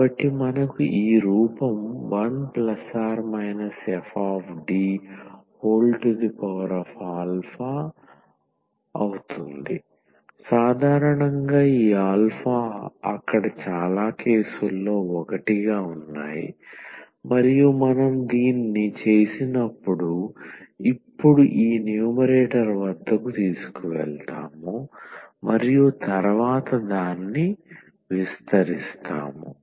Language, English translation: Telugu, So, that we get something of this form 1 plus or minus F D and power alpha;usually this alpha is 1 most of the cases there and when we do this we will take now to this numerator and then we will expand it